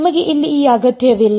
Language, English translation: Kannada, You do not even need this over here